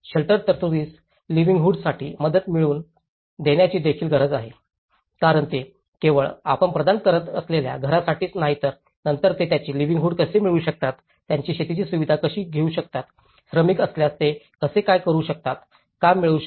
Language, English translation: Marathi, There is also need to integrate livelihood assistance with shelter provision because it is not just for the home we are providing, how they can procure their livelihood later on, how they can do their farming facilities, how they can if there any labour how can they can get the work